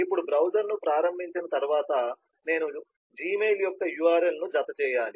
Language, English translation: Telugu, now after launching the browser, i need to fine the url of the gmail